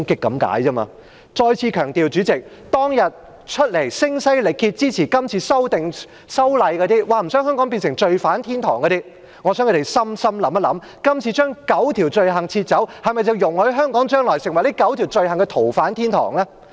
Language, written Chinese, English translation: Cantonese, 主席，我再次強調，我想聲嘶力竭支持今次修例、說不想香港變成罪犯天堂的那些人認真想想，今次將9項罪類剔除的做法是否容許香港將來成為這9項罪類的逃犯天堂？, President I must stress once again for those who have shouted at the top of their lungs in support of the amendments to the Ordinance claiming that they do not want Hong Kong to become a haven for fugitive offenders I urge them to think about this seriously will the removal of the nine items of offences going to turn Hong Kong into a haven for fugitive offenders of these nine items of offences?